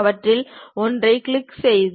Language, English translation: Tamil, Click one of them